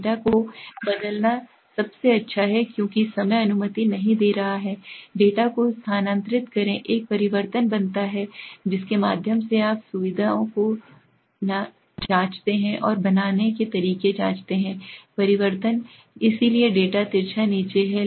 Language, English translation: Hindi, The best is to transform the data, as the time is not permitting, transfer the data makes a transformation through that you know facilities, and there are ways to make transformation so the data skewness is down